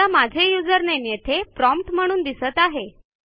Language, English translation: Marathi, Like we may display our username at the prompt